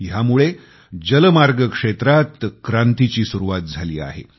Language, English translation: Marathi, This has laid the foundation of a new revolution in the waterways sector